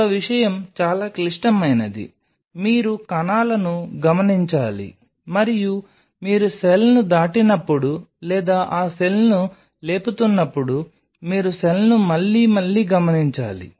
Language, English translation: Telugu, One thing is very critical you have to observe the cells and as your passaging the cell or your plating that cell you need to observe the cell time and again